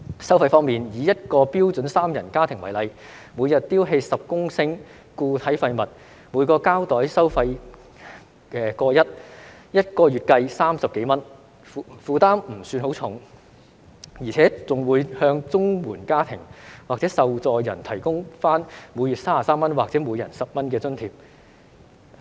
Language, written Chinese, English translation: Cantonese, 收費方面，以一個標準三人家庭為例，每日丟棄10公升固體廢物，每個膠袋收費 1.1 元，一個月計30多元，負擔不算很重，而且更會向綜援家庭或受助人提供每月33元或每人10元的津貼。, As far as charges are concerned take a three - member household with 10 - litre daily disposal of MSW as an example it will have to pay 1.1 for a designated garbage bag . The burden is not very heavy . Moreover financial assistance of 33 per month or 10 per person per month will be provided to the householdsrecipients of the Comprehensive Social Security Assistance